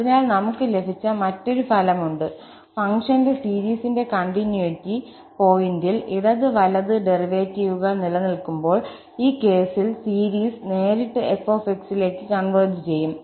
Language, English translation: Malayalam, So, that is another result we have, that at the point of continuity of the series of the function, the series will converge directly to f under the case when those left and right hand derivatives exist